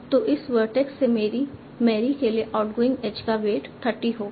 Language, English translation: Hindi, So from this vertex, the outgoing edge to marry will have a weight of 30